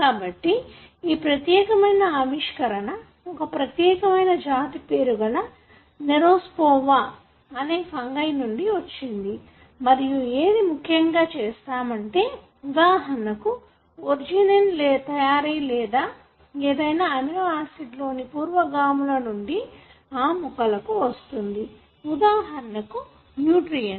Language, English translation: Telugu, So, this particular discovery have come from a particular species called Neurospora, which is a fungi and what they have essentially looked at is, how for example the synthesis of arginine, or, one of the amino acids happens from the precursors that the plant gets from, for example, its nutrients